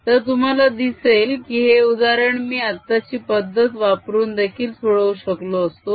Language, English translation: Marathi, so you see, i could have solved this problem using the current method